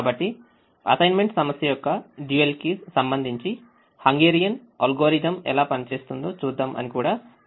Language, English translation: Telugu, so we also said that we will see how the hungarian algorithm works with respect to the dual of the assignment problem